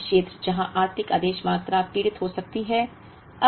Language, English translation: Hindi, Now, another area where the economic order quantity can suffer is this